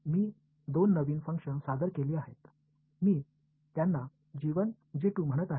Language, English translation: Marathi, I have introduced two new functions I am calling them g1 g2